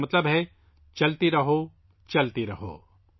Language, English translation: Urdu, It means keep going, keep going